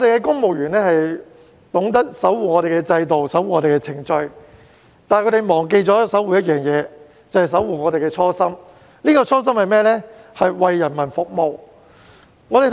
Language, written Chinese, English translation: Cantonese, 公務員懂得守護香港的制度和程序，但他們忘記了守護我們的初心，就是為人民服務。, Civil servants know how to preserve the system and the procedure in Hong Kong but they forget to preserve their original purpose and that is serving the people